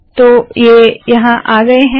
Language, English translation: Hindi, So these have come